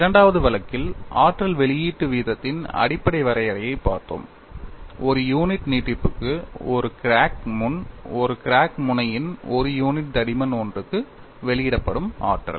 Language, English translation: Tamil, In the second case, we have looked at the basic definition of energy release rate, as the energy released per unit extension of a crack front per unit thickness per crack tip